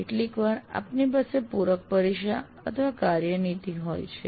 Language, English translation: Gujarati, And sometimes you have make up examination or work policy